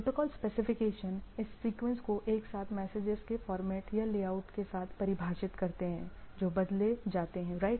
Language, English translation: Hindi, Protocols specifications define this sequence together with the format or layout of the message that are exchanged right